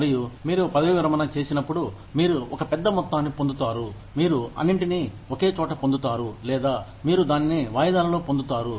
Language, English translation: Telugu, And, when you retire, you get a lump sum, either, you get it all together, or, you get it in instalments